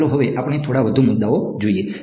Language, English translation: Gujarati, So, now let us look at a few more issues